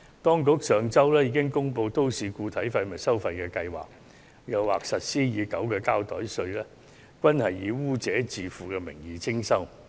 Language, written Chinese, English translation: Cantonese, 當局上周已公布都市固體廢物收費計劃，加上實施已久的膠袋稅，均是以"污染者自付"的名義徵收。, Under the municipal solid waste charging scheme announced by the Government last week and the plastic bag tax which has been imposed for quite some time fees are charged under the polluter pays principle